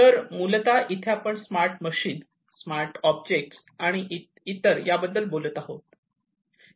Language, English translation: Marathi, So, here basically we are talking about smart machines, smart objects and so on